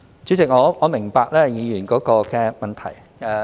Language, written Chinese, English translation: Cantonese, 主席，我明白議員的補充質詢。, President I understand the supplementary question of the Member